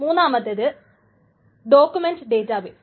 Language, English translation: Malayalam, The third one is the document databases